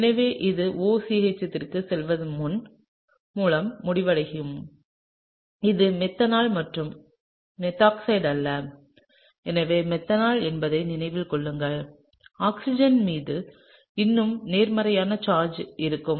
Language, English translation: Tamil, So, we would end up with this going down OCH3, keep in mind that it’s methanol and not methoxide and so methanol, there would still be a positive charge on the oxygen, okay